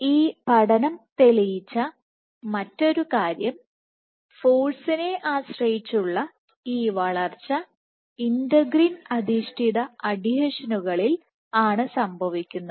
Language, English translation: Malayalam, One more thing that this study demonstrated was this force dependent growth occurs at integrin adhesions, at integrin based adhesions